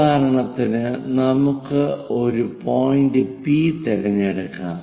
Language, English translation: Malayalam, For example, let us pick a point P